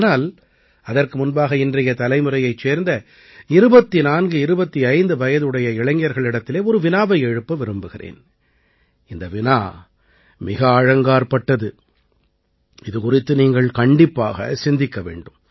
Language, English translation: Tamil, But, before that I want to ask a question to the youth of today's generation, to the youth in the age group of 2425 years, and the question is very serious… do ponder my question over